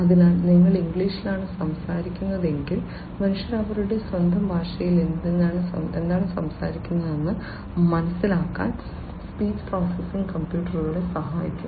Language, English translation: Malayalam, So, if you are speaking in English the speech processing would help the computers to understand what the humans are talking about in their own language right